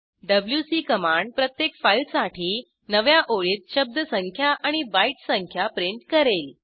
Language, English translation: Marathi, wc will print newline, word, and byte counts, for each file